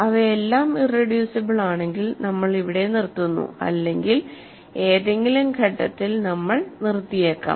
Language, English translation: Malayalam, If they are all irreducible we stop here or so we may stop at any stage